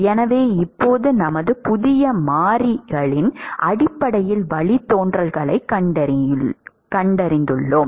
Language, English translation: Tamil, So now we have found the derivatives in terms of our new variables